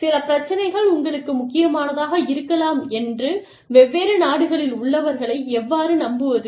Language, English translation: Tamil, How do you convince people, in different countries, that some issues may be important for you